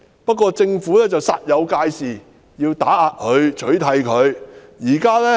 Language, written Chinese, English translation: Cantonese, 不過，政府煞有介事，要打壓及取締香港民族黨。, And yet the Government has acted in all seriousness to suppress and outlaw HKNP